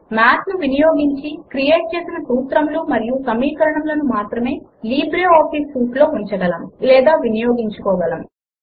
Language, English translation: Telugu, The formulae and equations created using Math can stand alone Or it can be used in other documents in the LibreOffice Suite